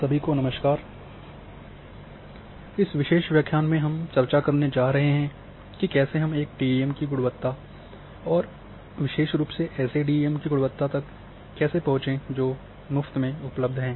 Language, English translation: Hindi, Hello everyone, and this particular lecture we are going to discuss how to access the quality of a DEM and especially quality of DEMs which are freely available